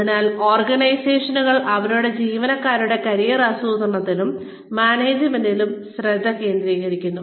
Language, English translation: Malayalam, So, organizations are investing, in career planning and management, of their employees